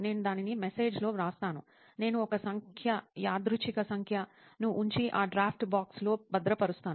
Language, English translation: Telugu, I just write it in the message; I put a number, random number and save it in that draft box